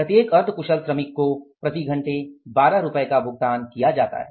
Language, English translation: Hindi, Semi skilled 4 workers at a standard rate of 12 per hour each